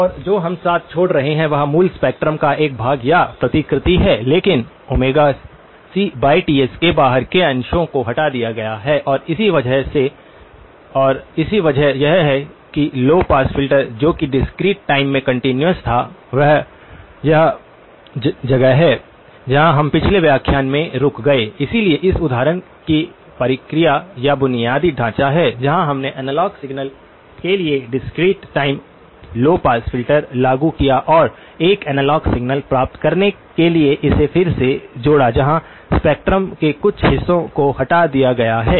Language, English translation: Hindi, And what we are left with is a portion or a replica of the original spectrum but with portions outside of Omega c by Ts have been removed and that is because of the low pass filter that was there in the continuous in the discrete time, this is where we stopped in the last lecture, so is the process of or the basic framework of this example where we applied discrete time low pass filter to analog signal and the reconstructed it to get an analogue signal where portions of the spectrum have been removed